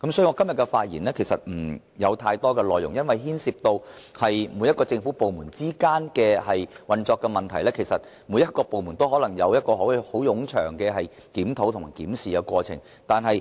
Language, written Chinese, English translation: Cantonese, 我今天的發言不會有太多內容，因為牽涉政府部門之間的運作，其實每個部門都可能須進行冗長的檢討。, My speech today will not contain too many details because the operation of government departments is involved . Actually every government department might need to conduct an extended review